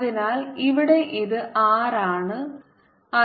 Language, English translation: Malayalam, this is r